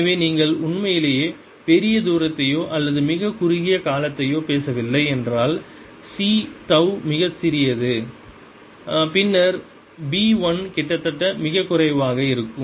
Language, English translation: Tamil, so unless you are really talking large distances or very short time period, so that c tau is very small, the, the, the b one is going to be almost negligible